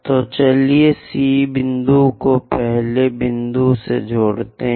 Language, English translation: Hindi, So, let us connect C point all the way to first point